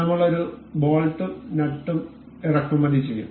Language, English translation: Malayalam, I will be importing one a bolt and a nut